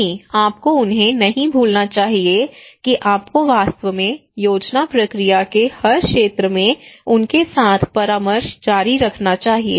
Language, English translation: Hindi, No, you should not forget them you should actually continue consultations with them involving them in every sphere of the planning process